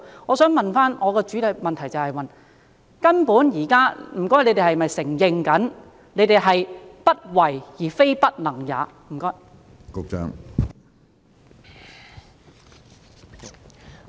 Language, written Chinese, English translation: Cantonese, 我想提出的補充質詢是，究竟當局現在是否承認，只是"不為"，而非"不能"也？, My supplementary question is Do the authorities admit that they simply do not want to rather than cannot do it?